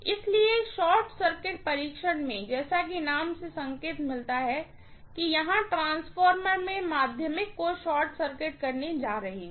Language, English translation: Hindi, So, in the short circuit test, as the name indicates, I am having the transformer here and I am going to short circuit the secondary